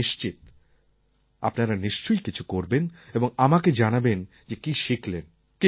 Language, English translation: Bengali, I am confident that you will surely do it and, yes, do share with me what you have learned